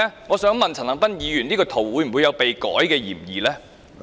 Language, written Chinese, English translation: Cantonese, 我想問一問陳恒鑌議員，他的圖片有否被修改過的嫌疑？, May I ask Mr CHAN Han - pan whether there is a suspicion that his picture has been altered?